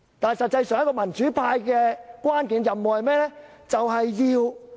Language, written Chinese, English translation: Cantonese, 但是，民主派的關鍵任務是甚麼？, However what is the key mission of the democrats?